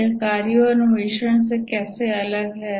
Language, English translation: Hindi, How is it different from tasks and exploration